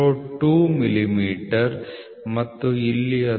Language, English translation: Kannada, 02 millimeter and here it is going to be 39